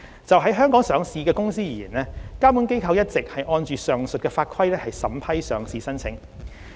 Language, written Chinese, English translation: Cantonese, 就於香港上市的公司而言，監管機構一直按上述法規審批上市申請。, As far as companies listed in Hong Kong are concerned regulatory authorities have been approving listing applications in accordance with the above mentioned laws and regulations